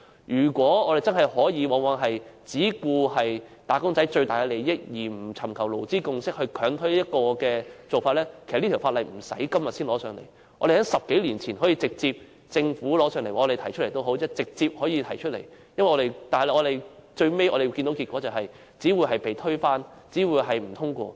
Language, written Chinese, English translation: Cantonese, 如果我們真的可以只顧及"打工仔"的最大利益，而不尋求勞資共識，強推某個做法，其實《條例草案》不用等到現在才提交立法會，在10多年前，政府或議員已可直接提交，但最後結果只會是被推翻，只會是不獲通過。, If we could really only care about the greatest interest of wage earners and push through a certain approach without seeking any consensus between employees and employers actually there was no need to wait until now to submit the Bill to the Legislative Council . The Government or Members could have submitted it direct some 10 years ago but it would only end up being defeated and negatived